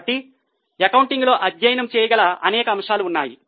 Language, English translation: Telugu, So, there are a number of aspects which can be studied in accounting